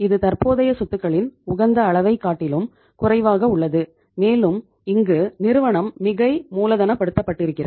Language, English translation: Tamil, This is the under less than the optimum level of current assets and this is the the say the firm is over capitalized